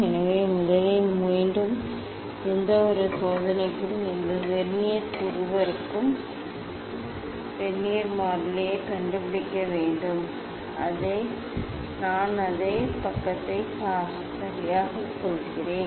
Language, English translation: Tamil, So, first, again for any experiment you have to find out the vernier constant for both Verniers; I am showing the same page ok